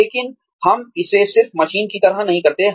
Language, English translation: Hindi, But, we do not just do it, like a machine